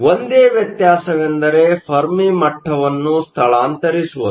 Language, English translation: Kannada, The only difference is where replace the Fermi level